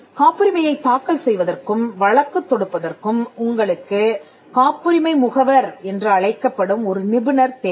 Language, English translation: Tamil, For filing and prosecuting patents, you need a specialist called the patent agent